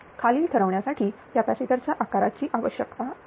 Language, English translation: Marathi, 92 determine the following the capacitor size required